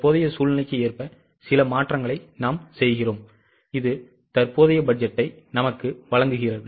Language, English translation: Tamil, We make a few changes as per the current scenario which gives us the current budget